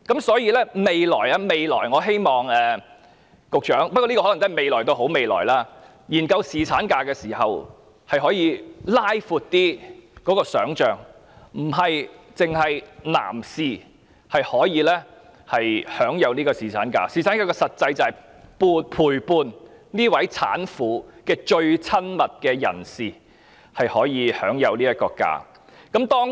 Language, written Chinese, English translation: Cantonese, 所以，我希望局長在未來——不過這個未來可能要等好一陣子——研究侍產假時，可以拉闊想象，其實並非只有男士可以享有侍產假，而侍產假的實際重點，是要讓陪伴產婦的最親密人士享有假期。, I thus hope that in the future―but we may have to wait a bit longer for this future―the Secretary can widen the scope for imagination in the study of paternity leave . In fact not only male can enjoy paternity leave and the main point of paternity leave is practically allowing the most intimate partner or the carer of the mother to enjoy leave